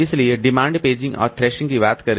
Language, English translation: Hindi, So, demand paging and threshing